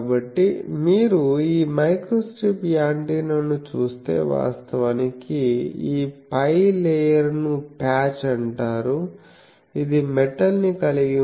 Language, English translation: Telugu, So, but we will now see if you look at this microstrip antenna actually this top layer is called patch this is a metallic thing, also you have the ground plane